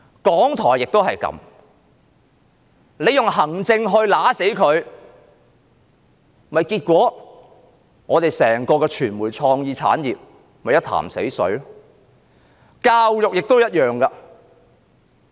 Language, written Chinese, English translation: Cantonese, 港台的情況也一樣，政府用行政來扼殺港台，結果香港的傳媒創意產業變成一潭死水。, The same is true for RTHK . The Government uses the same approach to suppress RTHK thus turning the media and the creative industry into a pool of stagnant water